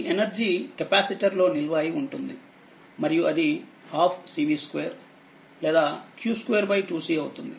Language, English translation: Telugu, This energy stored in the capacitor that that is your what you call half cv square or half c q square right